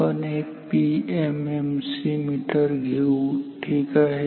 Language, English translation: Marathi, We will take a PMMC meter ok